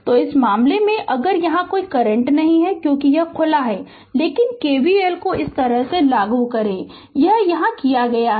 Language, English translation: Hindi, So, in this case your if you here there is no current here, because it is open right, but you apply KVL like this whatever I have done it here